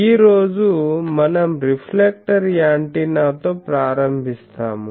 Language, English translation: Telugu, Now, today we start with the reflector antenna